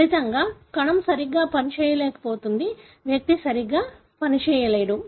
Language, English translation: Telugu, As a result, the cell is unable to function properly; the individual is unable to function properly